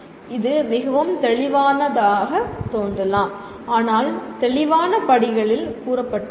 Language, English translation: Tamil, What it says, it may look pretty obvious but stated in a, in clear steps